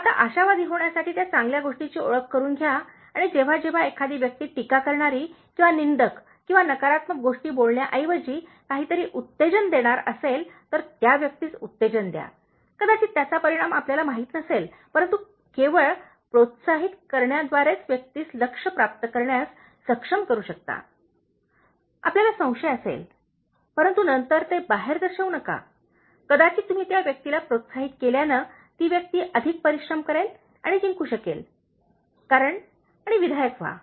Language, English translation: Marathi, Now, identify that good thing to become an optimist and whenever somebody is going to do something encourage, instead of being critical or cynical or saying negative things, just encourage the person, even you may not know the result, but just in encouraging you may be able to make the person achieve the goal, you may be doubtful, but then, don’t show that outside, maybe the person may work harder and win just because you encourage the person and be constructive